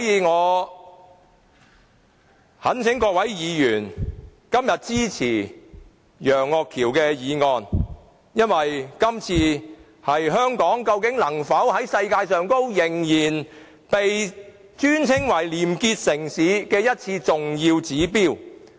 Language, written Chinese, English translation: Cantonese, 我懇請各位議員支持楊岳橋議員提出的議案，因為這是香港能否繼續被稱為世界上的廉潔城市的重要指標。, I sincerely request Honourable colleagues to support Mr Alvin YEUNGs motion as this is an important indicator of whether Hong Kong can still be regarded as the city with the highest level of probity in the world